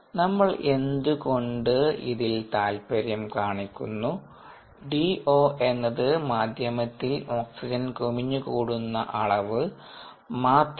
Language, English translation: Malayalam, so now, why we are interested in this is see: d o is nothing but the accumulated level of oxygen in the medium